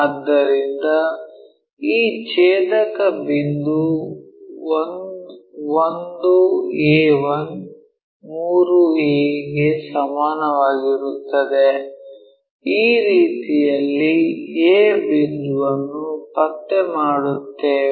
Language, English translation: Kannada, So, this intersecting point 1 a 1 is equal to 3a in such a way that we locate this point a